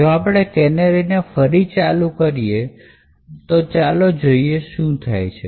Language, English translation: Gujarati, Now suppose we enable canaries let’s see what would happen